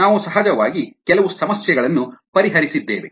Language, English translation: Kannada, we we have of course worked out some problems